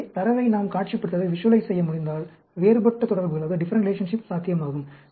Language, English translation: Tamil, So, if we can visualize the data, there are different relationships that are possible